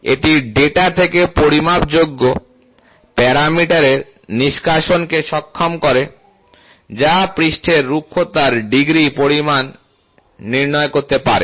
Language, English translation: Bengali, This enables the extraction of the measurable parameter from the data, which can quantify the degree of surface roughness